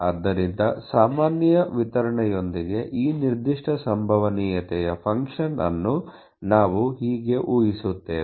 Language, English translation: Kannada, So, how do we predict, you know this particular probability function with normal distribution